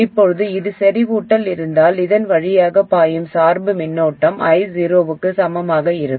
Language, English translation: Tamil, Now if this is in saturation, the bias current flowing through this will be equal to i0